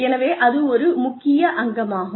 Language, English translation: Tamil, So, that is an essential component